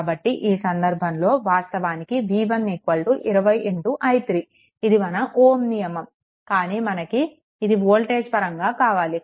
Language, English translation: Telugu, So, in that case anyway your ah v 1 is equal to actually 20 into i 3 that is your ohms law, but here we want in terms of your voltage